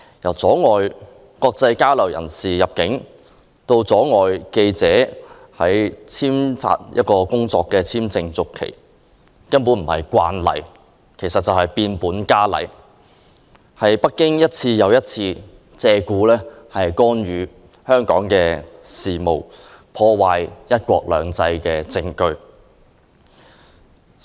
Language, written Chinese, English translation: Cantonese, 從阻礙來港進行國際交流的人士入境，到拒絕為記者的工作簽證續期，這些舉動並非所謂的"慣例"，而是變本加厲，是北京一次又一次借故干預香港事務、破壞"一國兩制"的證據。, The acts of refusing entry for international exchanges and rejecting work visa renewal for journalists are not what we call a rule; instead they are evidence showing that Beijing keeps on intervening in Hong Kong affairs with different excuses damaging one country two systems